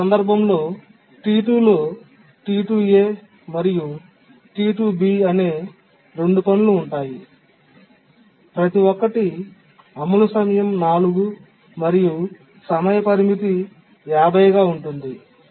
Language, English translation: Telugu, In that case, what we do is we consider that T2 consists of two tasks, T2A and T2B, each one having execution time 4 and period of 50